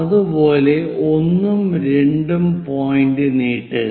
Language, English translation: Malayalam, Similarly, extend 1 and 7th point